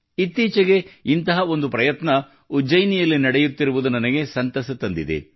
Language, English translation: Kannada, And I am happy that one such effort is going on in Ujjain these days